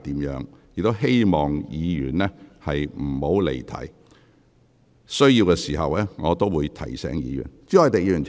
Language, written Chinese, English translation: Cantonese, 我希望議員不要離題；有需要時，我便會提醒議員。, I hope Members can avoid digressing from the subject matter and I will remind Members when necessary